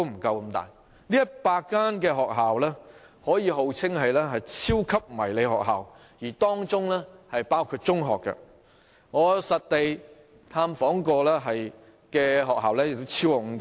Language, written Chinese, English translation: Cantonese, 這100間學校可以號稱為超級迷你學校，而當中更包括中學，我實地探訪過的也超過5間。, Such 100 schools can be called super mini schools and some of them are even secondary schools . I have paid site visits to more than five of such schools